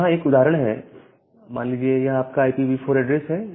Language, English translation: Hindi, Say this is your IPv4 address